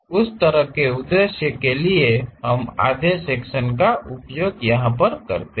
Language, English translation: Hindi, For that kind of purpose we use half section